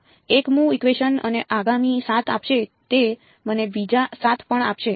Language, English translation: Gujarati, The 1st equation will give me 7 in the next will also give me another 7